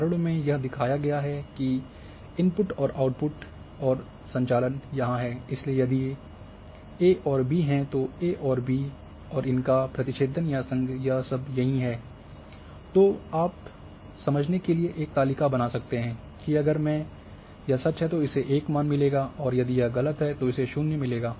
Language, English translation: Hindi, So, here the examples are shown that attributes input and output here and operations are here, so if A and B are there then A and B and intersection union and all this are there and then you can create a table to understand, that if it is true it will get value 1 if it is false it will get value 0